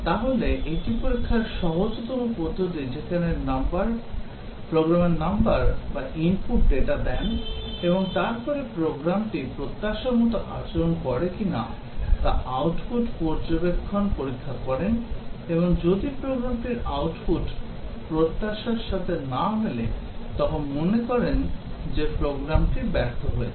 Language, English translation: Bengali, So, that is the simplest type of testing where the programmer inputs numbers or inputs data and then observes output to check if the program behaves as expected and if the program output does not match his expectation then, thinks that the program has failed